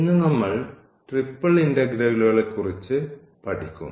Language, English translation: Malayalam, Today we will learn about the triple integrals